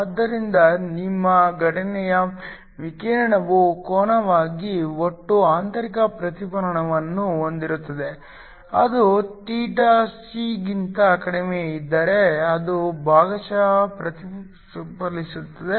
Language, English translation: Kannada, So, of your incident radiation as angle greater θc then will have total internal reflection, if it is less than theta c it will be partially reflective